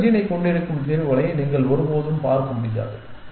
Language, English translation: Tamil, Then you can never look at solutions which have the middle gene essentially